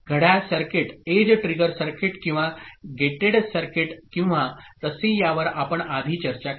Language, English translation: Marathi, That we discussed before when clock circuit is triggered circuit or gated circuit or so